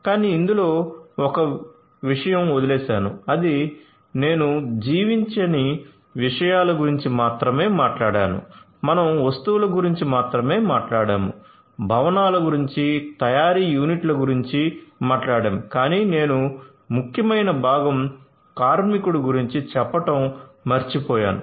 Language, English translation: Telugu, But one thing I have missed in this I have talked about only nonliving things, I have talked about only the goods, about the buildings, about the manufacturing units, those are the ones I have talked about, but the essential component that I have missed out so far is this worker